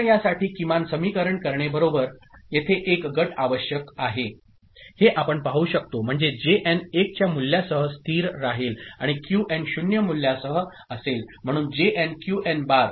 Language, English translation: Marathi, So, now to have a minimized expression for this right; so, we can see that one group is required here, so that is coming as Jn remaining constant with value 1, and Qn with value 0, so Jn Qn bar